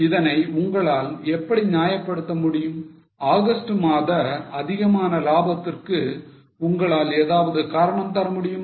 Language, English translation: Tamil, Can you give any reasoning for more profits in August